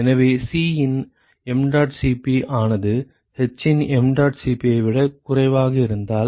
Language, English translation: Tamil, So, if mdot Cp of c is less than mdot Cp of h ok